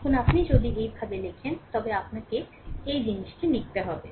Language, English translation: Bengali, Now, if you write like this, that then you have to write this thing